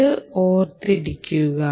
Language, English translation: Malayalam, keep this in mind